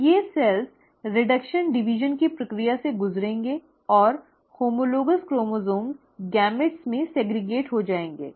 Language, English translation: Hindi, So, these cells will undergo the process of reduction division and the homologous chromosomes will get segregated into the gametes